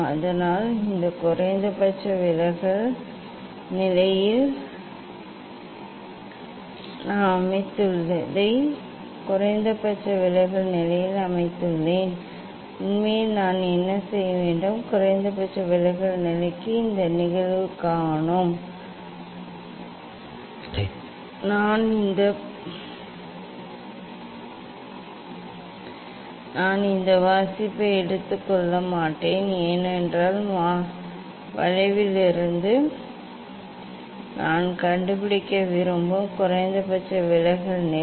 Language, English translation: Tamil, So; this I have set at the minimum deviation position what I have set the at minimum deviation position; actually what we will do; this is the incident angle for minimum deviation position I will not take this reading say because minimum deviation position I want to find out from the curve